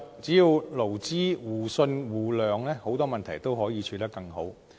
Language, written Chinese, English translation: Cantonese, 只要勞資互信互諒，很多問題都可以處理得更好。, As long as employers and employees can develop mutual trust and understanding many problems can be dealt with more effectively